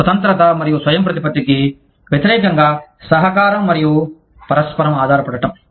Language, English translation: Telugu, Cooperation and interdependence versus independence and autonomy